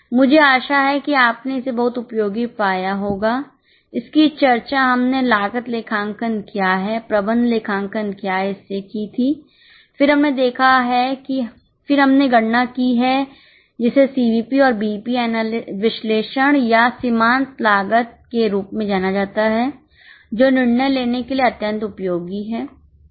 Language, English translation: Hindi, We have started with discussion of what is meant by cost accounting, what is management accounting, then we have seen that we have gone for calculation of what is known as CVP and BEP analysis or marginal costing which is extremely useful for decision making